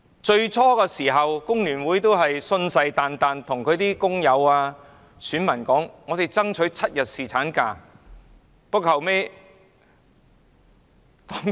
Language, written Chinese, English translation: Cantonese, 最初，工聯會信誓旦旦地表示，會替工友選民爭取7天侍產假。, Initially Members from FTU vowed that they would fight for seven days paternity leave for workers but they flinched afterwards